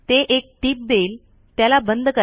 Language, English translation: Marathi, So it will give a tip – close it